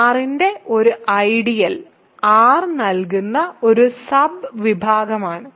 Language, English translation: Malayalam, So, an “ideal” I of R is a subset of R satisfying